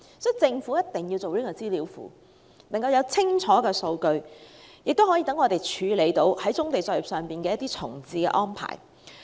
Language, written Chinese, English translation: Cantonese, 所以，政府一定要設立棕地資料庫，提供清楚的數據，以便處理棕地作業重置的安排。, Therefore the Government must establish a brownfield database providing clear data for the relocation of brownfield operations